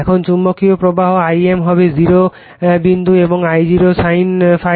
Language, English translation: Bengali, Now, magnetizing current I m will be 0 point and I0 sin ∅0